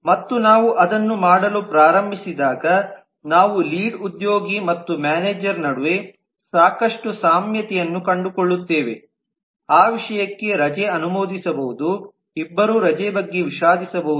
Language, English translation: Kannada, and when we start doing that we do find a lot of commonality between the lead and the manager both of them can for that matter approve leave, both of them can regret leave and so on